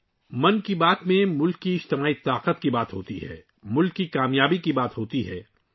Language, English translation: Urdu, In 'Mann Ki Baat', there is mention of the collective power of the country;